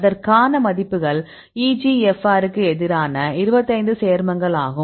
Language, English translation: Tamil, So, we have the values for the 25 compounds against EGFR